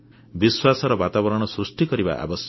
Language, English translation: Odia, It is important to build an atmosphere of trust